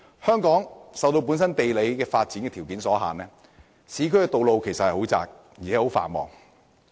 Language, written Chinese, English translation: Cantonese, 香港受本身的地理發展條件所限，市區道路十分狹窄，而且非常繁忙。, Bound by its own geographical constraints roads in the urban areas are tremendously narrow and busy in Hong Kong